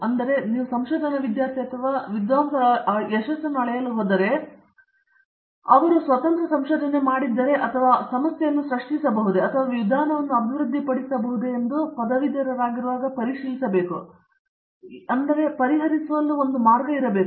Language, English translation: Kannada, So, if you are going to measure the success of a research student or a research scholar, you should check when he or she graduates whether you have made some independent researcher, whether he or she is able to create a problem and also develop a methodology or a way to solve the problem